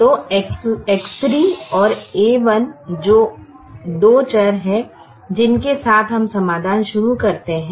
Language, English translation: Hindi, so x three and a one are the two variables with which we start the solution